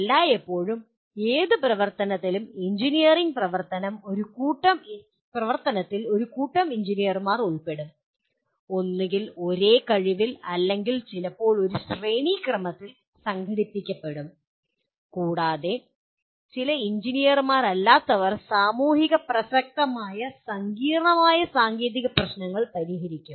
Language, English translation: Malayalam, Always any activity, engineering activity will involve a group of engineers, either at the same level of competency or sometimes organized in a hierarchical fashion along with some non engineers they solve socially relevant complex technical problems